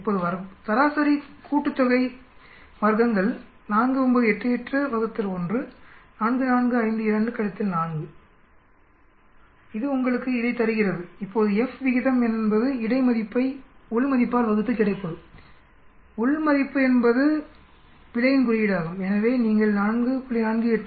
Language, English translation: Tamil, Now mean sum of squares 4 9 8 8 divided by 1, 4 4 5 2 divided by 4 that gives you this now the F ratio is between divided by within, within is a indication of error, so it comes out to be 4